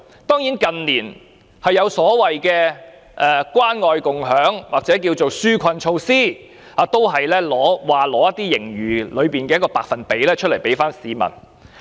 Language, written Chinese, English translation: Cantonese, 當然，近年有關愛共享計劃或一些紓困的措施，政府說會撥出盈餘中的某個百分比給市民。, In recent years there are of course the Caring and Sharing Scheme and some relief measures for the people . The Government says that it will allocate a certain percentage of the surplus to benefit the public